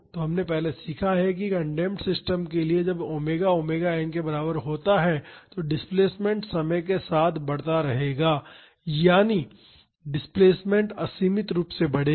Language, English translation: Hindi, So, we have learnt earlier that for an undamped system, when omega is equal to omega n the displacement will keep on increase with time that is the displacement will increase unboundedly